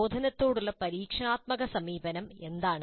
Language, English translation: Malayalam, What then is experiential approach to instruction